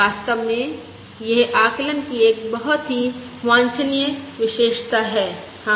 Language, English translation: Hindi, In fact, it is a very desirable property of the estimate